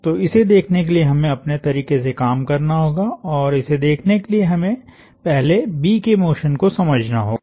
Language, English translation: Hindi, So we have to work our way to see and to get to see we first need to understand the motion of B